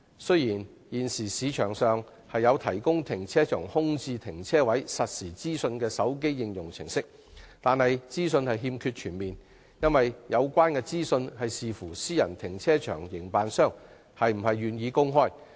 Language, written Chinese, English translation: Cantonese, 雖然，現時市場上有提供停車場空置停車位實時資訊的手機應用程式，但資訊並不全面，因為有關資訊須視乎個別私人停車場營辦商是否願意公開。, Although mobile Apps for providing real - time information on vacant parking spaces in car parks are available on the market the information is not comprehensive as the availability of relevant information depends on whether or not individual private car parks are willing to disclose it